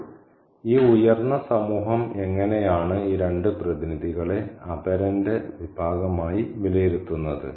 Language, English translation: Malayalam, So, how does this high society assess these two representatives of the other, the category of the other